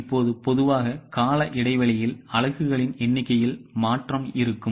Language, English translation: Tamil, Now normally there will be change in the number of units from period to period